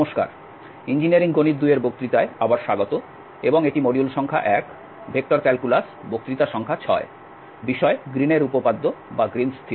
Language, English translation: Bengali, So, welcome back to lectures on Engineering mathematics II and this is module number 1 vector calculus and the lecture number 6 on Green’s theorem